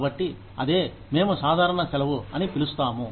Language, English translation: Telugu, So, that is what, we call as casual leave